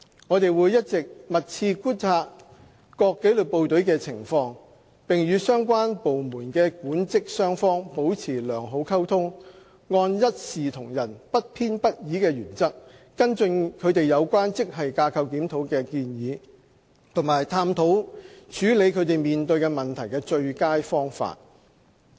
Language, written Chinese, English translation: Cantonese, 我們會一直密切觀察各紀律部隊的情況，並與相關部門的管職雙方保持良好溝通，按一視同仁、不偏不倚的原則跟進他們有關職系架構檢討的建議，以及探討處理他們面對的問題的最佳方法。, We will continue to closely monitor the situation of the disciplined services and maintain good communication with both the management and staff side of the relevant departments . We will follow up on their suggestions for GSR in a fair and impartial manner as well as to explore the best ways to handle the issues that they face